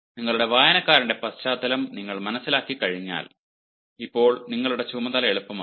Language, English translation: Malayalam, so once you understand the background of your reader, now your task becomes easier